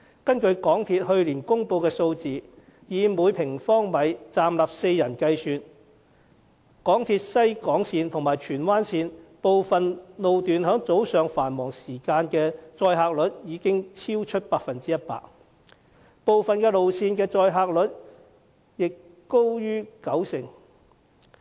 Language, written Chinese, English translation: Cantonese, 根據香港鐵路有限公司去年公布的數字，以每平方米站立4人計算，港鐵西鐵線和荃灣線部分路段在早上繁忙時間的載客率已經超出 100%， 部分路線的載客率也高於九成。, It has not only aggravated traffic congestion but also caused the railway network to run beyond its passenger capacity . According to the figures announced by the MTR Corporation Limited last year with four persons standing per square metre the West Rail Line and Tsuen Wan Line were overcrowded during morning peak hours at over 100 % loading rate whereas the loading rate of certain lines also exceeded 90 %